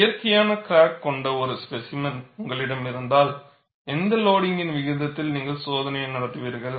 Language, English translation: Tamil, Once you have a specimen with a natural crack, at what loading rate would you conduct the test